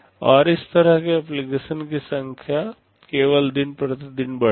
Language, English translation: Hindi, And the number of such applications will only increase day by day